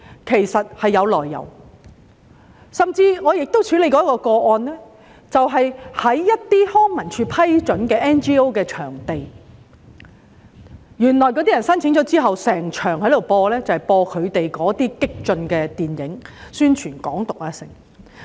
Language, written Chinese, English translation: Cantonese, 其實也有來由，在我曾處理的一宗個案中，甚至有康樂及文化事務署批准的 NGO 場地被申請人用作播映內容激進、宣揚"港獨"的電影。, There are actually reasons behind and in a case I have handled approval was granted to a non - governmental organization NGO for using a venue managed by the Leisure and Cultural Services Department but the place was used by the applicant for broadcasting a movie expressing radical views and advocating Hong Kong independence